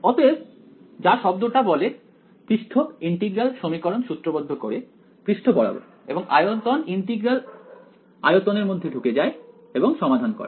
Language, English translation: Bengali, So, as the word suggests surface integral formulates the equations around the surface volume integral goes into the volume and solves it